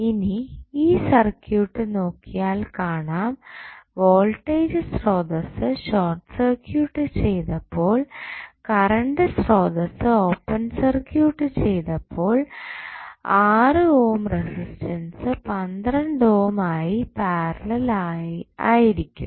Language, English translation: Malayalam, So, now, if you see the circuit, when you short circuit the voltage source, open circuit the current source 6 ohm resistance would be in parallel with 12 ohm and these 3 ohm and 2 ohm resistance would be in series